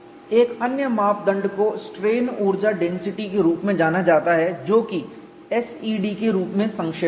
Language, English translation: Hindi, The other criterion is known as strain energy density which is abbreviated as SED and its due to Sih